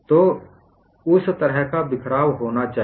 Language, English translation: Hindi, So, that kind of scatter should be there